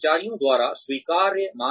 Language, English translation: Hindi, Acceptability by employees